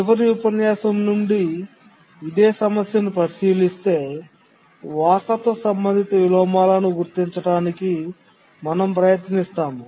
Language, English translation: Telugu, This is the same problem that we are considering in the last lecture and now we are trying to identify the inheritance related inversion